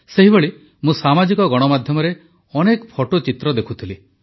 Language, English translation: Odia, Similarly I was observing numerous photographs on social media